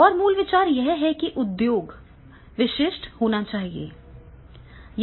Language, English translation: Hindi, And the basic idea is that it should be industry specific